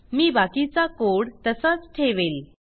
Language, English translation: Marathi, I will retain the rest of the code as it is